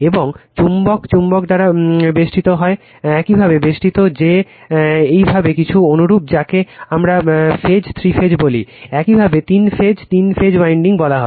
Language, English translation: Bengali, And magnet is surrounded by right magnet is the your surrounded by that your some your what we call phase three phase your that three wind, the three phase winding called right